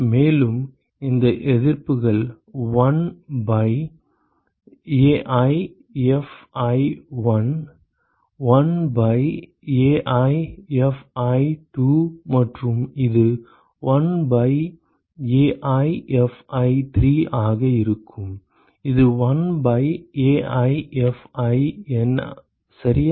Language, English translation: Tamil, And these resistances are 1 by AiFi1 1 by Ai Fi2 and this will be 1 by AiFi3 and this will be 1 by AiFiN ok